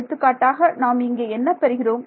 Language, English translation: Tamil, So, for example, what I will get